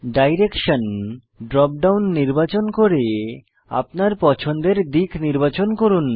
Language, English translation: Bengali, Select Direction drop down and select a direction of your choice